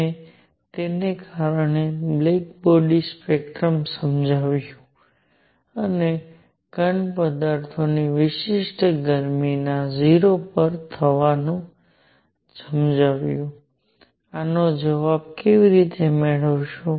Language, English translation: Gujarati, And because of that explained the black body spectrum and also explained the going to 0 of the specific heat of solids, how to get an answer for this